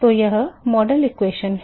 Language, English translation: Hindi, So, that is the model equation and